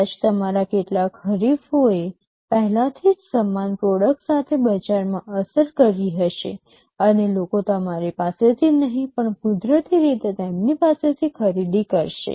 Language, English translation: Gujarati, Maybe some of your competitors already have hit the market with a similar product, and people will buy naturally from them and not from you